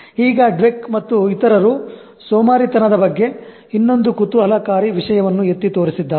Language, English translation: Kannada, Now, Dweck and others also point out another interesting thing about laziness